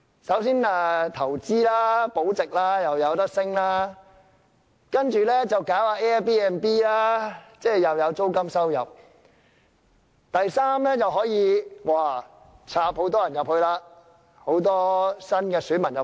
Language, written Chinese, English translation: Cantonese, 首先是投資保值，價值又可上升；第二是搞 Airbnb， 又有租金收入；第三是可以加插很多新選民進去。, First for investment and capital preservation as the value will go up; second for turning their flats into Airbnb to generate a rental income; and third for planting a lot of new electors